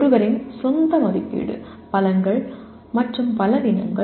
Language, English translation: Tamil, Evaluating one’s own strengths and weaknesses